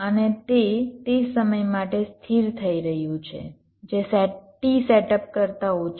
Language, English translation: Gujarati, and this has to be kept stable for a minimum amount of t setup